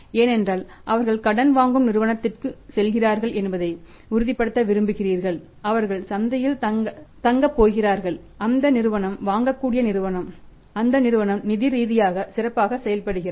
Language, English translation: Tamil, Because you want to make sure you want to make sure that they are going to the firm this a borrowing firm they are going to stay in the market that firm is a buyable firm that firm is financially say active firm and their operations are also active